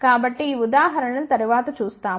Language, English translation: Telugu, So, we will see these examples later on